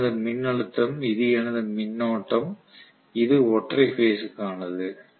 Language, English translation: Tamil, So this is my voltage, this is my current, this is the case in single phase right